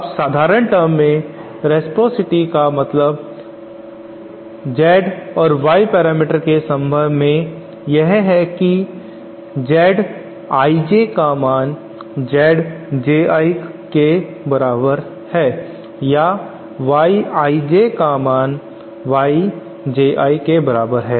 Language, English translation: Hindi, Now in simple terms reciprocity in terms of the Z and Y parameters that we just defined is that Z I J is equal to Z J I or Y I J is equal to Y J I